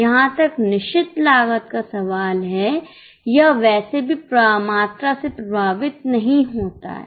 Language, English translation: Hindi, As far as the fixed cost is concerned, anyway it is not affected by volume